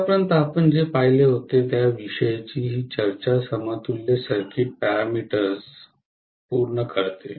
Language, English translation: Marathi, So this completes our discussion on what we had seen so far is equivalent circuit parameters, right